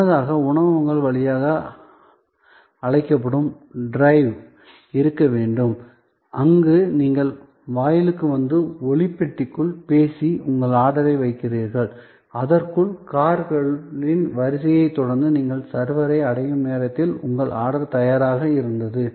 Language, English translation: Tamil, Earlier, there is to be the so called drive through restaurants, where you came to the gate and spoke into a sound box and you place your order and by the time, you reach the server following the queue of cars, your order was ready